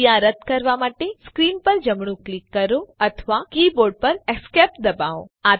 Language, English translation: Gujarati, Right click on screen or Press Esc on the keyboard to cancel the action